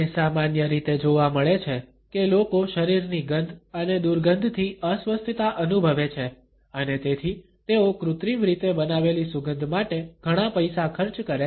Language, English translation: Gujarati, It is normally found that people are uncomfortable with body odors and smells and therefore, they spend a lot of money on wearing artificially created scents